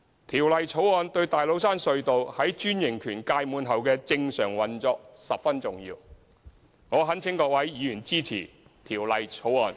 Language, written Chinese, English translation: Cantonese, 《條例草案》對大老山隧道在專營權屆滿後的正常運作十分重要，我懇請各位議員支持《條例草案》。, The Bill is instrumental to the normal operation of TCT upon the expiry of its franchise . I urge for Members support of the Bill